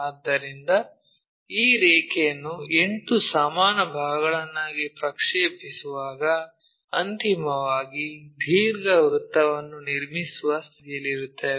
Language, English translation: Kannada, So, that when we are projecting, projecting this line also into 8 equal parts, finally, we will be in a position to construct an ellipsoid